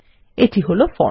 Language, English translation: Bengali, There is the form